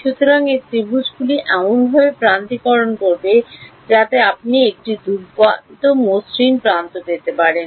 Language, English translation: Bengali, So, it will align the triangles to be in such a way that you can get a nice smooth set of edges